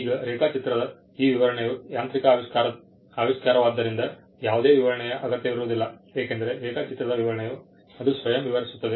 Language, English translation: Kannada, Now, this description of the drawing because it is a mechanical invention, there is no illustration required because the description of the drawing itself describes it